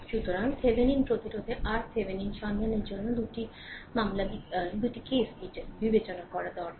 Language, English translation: Bengali, So, for finding your Thevenin resistance R Thevenin, we need to consider 2 cases